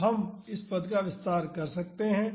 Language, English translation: Hindi, So, we can expand this term